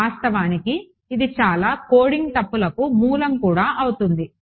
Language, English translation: Telugu, In fact, that is a source of a lot of coding mistakes also yeah